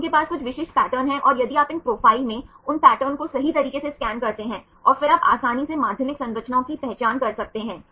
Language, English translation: Hindi, So, they have some specific patterns and if you scan these patterns in these profiles right and then you can easily identify the secondary structures